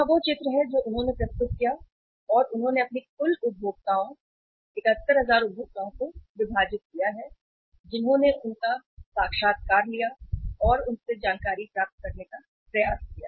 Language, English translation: Hindi, Here is the picture they have uh presented and they divided their total consumers, 71,000 consumers, who they interviewed and tried to get the information from